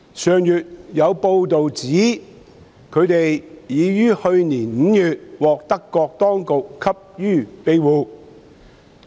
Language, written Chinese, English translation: Cantonese, 上月有報道指他們已於去年5月獲德國當局給予庇護。, It was reported last month that they had been granted asylum by the German authorities in May last year